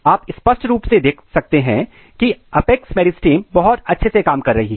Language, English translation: Hindi, You can clearly see that the apex meristems are very much working fine